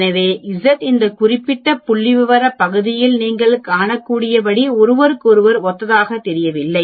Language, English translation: Tamil, So z and t seem to be analogous to each other as you can see in this particular statistical area